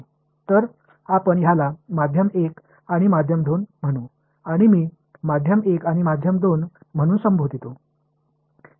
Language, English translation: Marathi, So, let us call this medium 1 and medium 2 and as I say medium 1 and medium 2 so medium